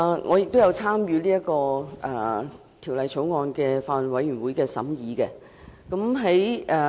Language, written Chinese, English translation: Cantonese, 我亦有參與這項《條例草案》的法案委員會的審議工作。, I have also taken part in the deliberations of the Bill Committee on the Bill